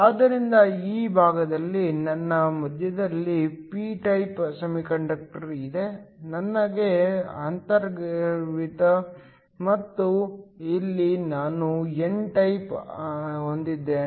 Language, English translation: Kannada, So, on this side, I have a p type semiconductor at the center, I have an intrinsic and here I have an n type